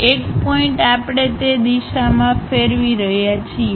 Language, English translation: Gujarati, A point we are rotating in that direction